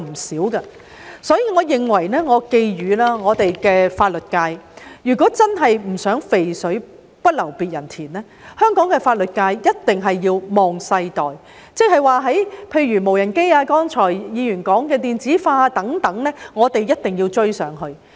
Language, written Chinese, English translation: Cantonese, 所以，我寄語香港的法律界，如果真的想"肥水不流別人田"，我認為他們一定要"望世代"；例如無人機、議員剛才提到的電子化等，我們一定要追上去。, Therefore I would like to advise the legal profession in Hong Kong that if they really want to keep the goodies to themselves I think they must look at the generation . For example the development of drones electronization as earlier mentioned by Members and so on we must catch up